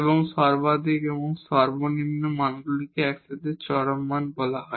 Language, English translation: Bengali, And these maximum and minimum values together these are called the extreme values